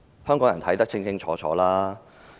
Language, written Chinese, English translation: Cantonese, 香港人現在看得很清楚。, Hongkongers have seen a sharp clear picture now